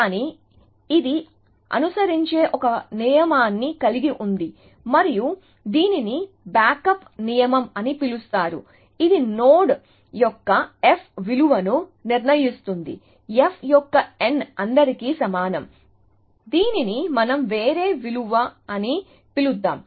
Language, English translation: Telugu, But, it has a rule which it follows and which is called as a backup rule, which determines the f value of a node, f of n is equal to all let us call it some other value